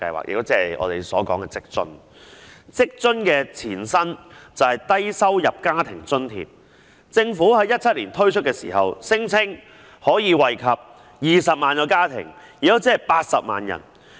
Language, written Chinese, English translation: Cantonese, 職津計劃的前身是低收入在職家庭津貼計劃，政府在2017年推出時聲稱可惠及20萬個家庭，即80萬人。, WFAS was formerly known as the Low - income Working Family Allowance Scheme . When it was launched in 2017 the Government claimed that it could benefit 200 000 households comprising 800 000 persons